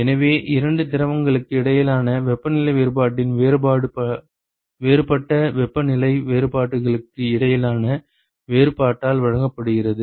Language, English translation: Tamil, So, that is the differential change in the temperature difference between the two fluids is given by the difference between the differential temperature differences itself